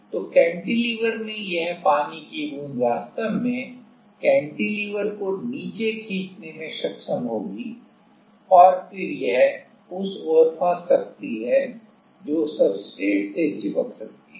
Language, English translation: Hindi, So, the cantilever this water droplet actually will be able to pull the cantilever down and then it can get stuck towards the it can get stuck to the to the substrate